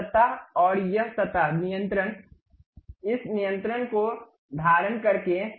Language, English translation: Hindi, This surface and this surface control, by holding this control